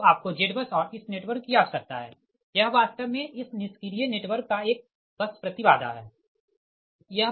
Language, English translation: Hindi, so you need a z bus and this is that, this network, this is actually a bus impedance of this passive thevenin network